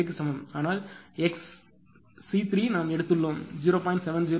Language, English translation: Tamil, 758, but x 3 we have taken; x 3 we have taken 0